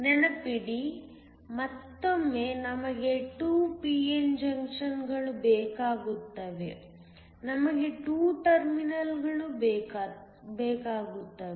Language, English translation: Kannada, Remember, once again we need 2 p n junctions we also need 2 terminals